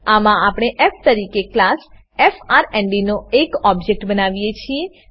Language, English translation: Gujarati, In this we create an object of class frnd as f